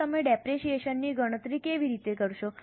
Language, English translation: Gujarati, Now, how do you compute depreciation